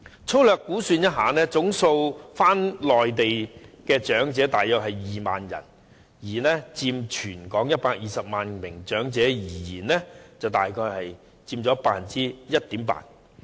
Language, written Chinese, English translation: Cantonese, 粗略估算，返回內地的長者共約2萬人，以全港120萬名長者而言，約佔 1.8%。, A rough estimation shows that around 20 000 elderly people have moved to the Mainland accounting for about 1.8 % of the 1 200 000 elderly people in Hong Kong